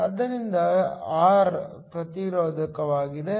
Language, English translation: Kannada, So, R is the resistor